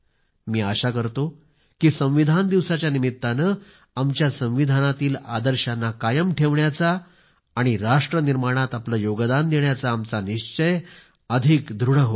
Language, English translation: Marathi, I pray that the 'Constitution Day' reinforces our obligation towards upholding the constitutional ideals and values thus contributing to nation building